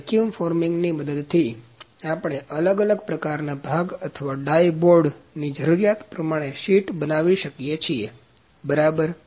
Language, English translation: Gujarati, So, with the help of vacuum forming, we can form the sheet of any shape as per our part or a die board, according to that, ok